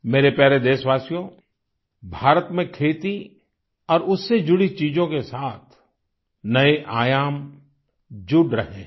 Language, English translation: Hindi, new dimensions are being added to agriculture and its related activities in India